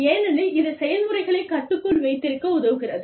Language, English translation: Tamil, Because, that helps, keep processes in check